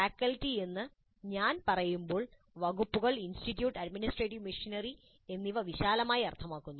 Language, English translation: Malayalam, When I say faculty, it also means the departments, the institute, the administrative missionary broadly